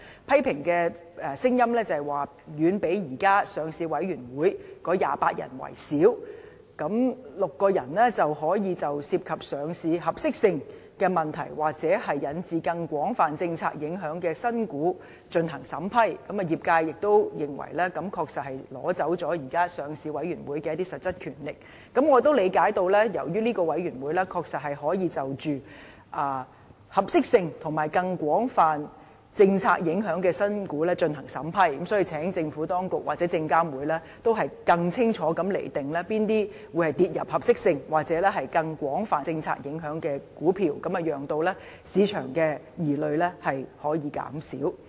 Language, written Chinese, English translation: Cantonese, 批評聲音指出它的成員遠較現時上市委員會的28人少，單6個人就可以就涉及上市合適性的問題，或引致更廣泛政策影響的新股進行審批，業界認為它確實是奪走了現時上市委員會的一些實質權力，我亦理解由於這個委員會確實可以就着合適性及更廣泛政策影響的新股進行審批，所以請政府當局或證監會應更清楚地釐定哪些股票會列入合適性或更廣泛政策影響，使市場的疑慮可以減少。, People criticized that its membership is too small as compared to the 28 members of the Listing Committee . In light of the empowering of only six members to vet and approve new listing applications that involve listing suitability issues or have broader policy implications the industry opines that LRC has indeed usurped certain substantive power of the existing Listing Committee . I also understand that LRC will indeed vet and approve new listing applications that involve suitability issues or have broader policy implications and so will the authorities or SFC please clearly define which stocks will be put under the category of suitability or that of broader policy implications in a bid to allay market concerns